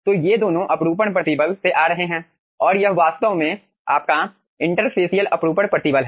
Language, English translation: Hindi, so these 2 are coming from the shear stresses and this is actually your interfacial shear stress